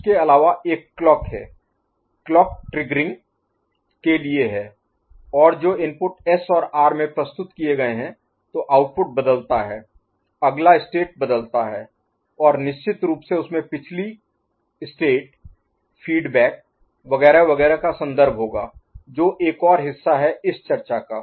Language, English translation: Hindi, Other one is clock, clock is a simply triggering and based on what is presented at S and R the output you know, changes the next state changes and of course, there would be reference to the previous state feedback etcetera etcetera that is another part of the story here